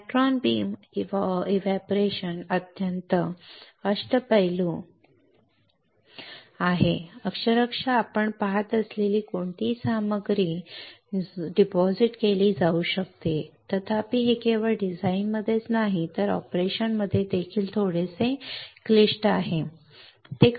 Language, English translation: Marathi, Electron beam evaporation is extremely versatile virtually any material you see virtually any material can be deposited; however, it is little bit complex not only in design, but also in operation alright